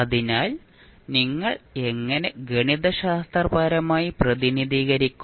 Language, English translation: Malayalam, So, how you will represent mathematically